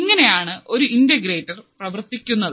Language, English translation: Malayalam, So, this is how the integrator would work